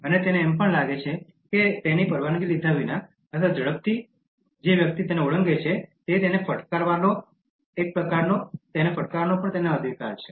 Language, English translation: Gujarati, And he even feels that he has a kind of right to hit the person who crosses without taking his permission or darting across so quickly